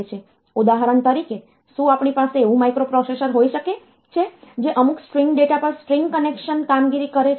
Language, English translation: Gujarati, For example, can we have a microprocessor that performs say the string concatenation operation on some string data